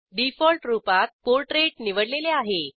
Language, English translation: Marathi, By default Portrait is selected